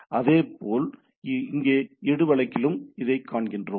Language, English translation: Tamil, Similarly, here also in the edu case we see this one